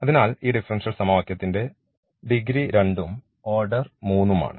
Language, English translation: Malayalam, So, the degree of this differential equation is 2 and the order is s 3